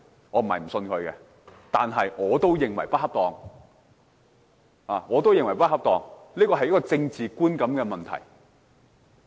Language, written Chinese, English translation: Cantonese, 我並非不相信他，但我也認為他做得不恰當，因為這關乎政治觀感的問題。, It is not that I do not trust him but I think he had acted inappropriately because the matter is related to a politically sensitive issue